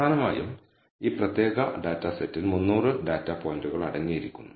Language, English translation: Malayalam, So, essentially this particular data set contains 300 data points